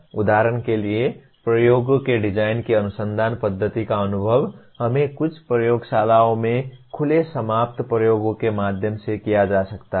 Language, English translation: Hindi, For example research method of design of experiments can be experienced through let us say open ended experiments in some laboratories